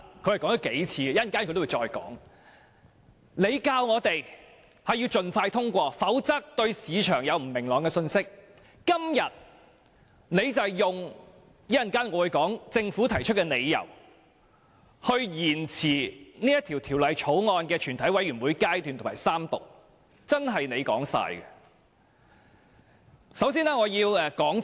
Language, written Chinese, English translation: Cantonese, 政府當天要求我們盡快通過《條例草案》，否則會為市場帶來不明朗的信息；今天卻提出另一些理由，支持延遲《條例草案》的全體委員會審議階段和三讀，真是"官字兩個口"。, In the past the Government asked us to pass the Bill expeditiously so as to avoid sending a message of uncertainty to the market; today it makes up some reasons to justify its act of delaying the scrutiny at the Committee stage and the Third Reading of the Bill . The Government can really do whatever it wants